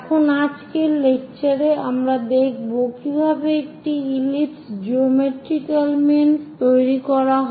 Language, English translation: Bengali, Now in today's lecture, we will see how to construct an ellipse geometrical means